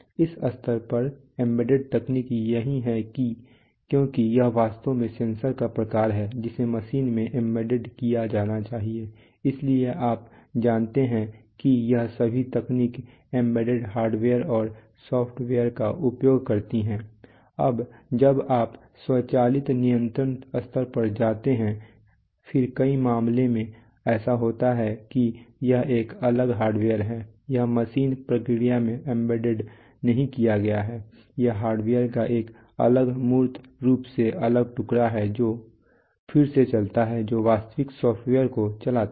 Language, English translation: Hindi, Embedded technology at this level so this is this what embedded is because it is the kinds of actually the sensor is supposed to be embedded in the machine so you know all the this technology is uses embedded hardware and software when you go to the automatic control level then it happens in many cases that, there it is a it is a separate hardware it is not embedded into the process into the machine it is a separate tangibly separate piece of hardware which runs again which runs real time software